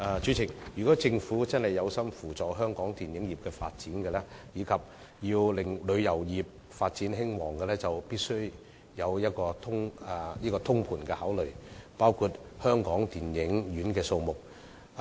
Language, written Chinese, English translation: Cantonese, 主席，如果政府真的有心扶助香港電影業發展及令旅遊業興旺，必須進行通盤考慮，包括考慮電影院的數目。, President if the Government really commits to supporting the development of the Hong Kong film industry and enabling the tourism industry to prosper it must consider in a holistic approach including the number of cinemas